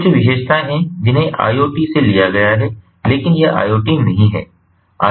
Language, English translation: Hindi, there are certain features that have been borrowed from iot, but it is not the iot